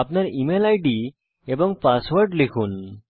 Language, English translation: Bengali, Enter your email id and password